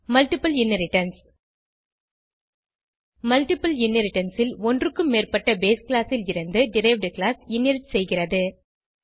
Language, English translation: Tamil, Multiple inheritance In multiple inheritance, derived class inherits from more than one base class